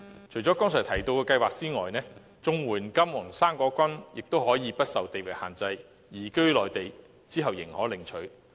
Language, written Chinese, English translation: Cantonese, 除了剛才提到的計劃外，綜合社會保障援助亦可以不受地域限制，在移居內地後領取。, Apart from the scheme mentioned a while ago the Comprehensive Social Security Assistance Scheme is also portable and obtainable to the recipient after he or she has relocated to the Mainland